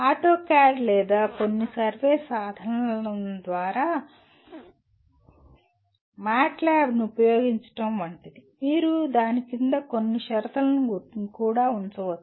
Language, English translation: Telugu, Like using the AutoCAD or some survey tool or MATLAB whatever you call it, you can also put some conditions under that